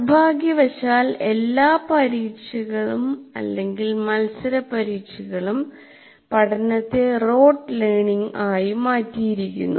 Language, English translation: Malayalam, And unfortunately, many of the examinations or competitive exams reduce learning to rote learning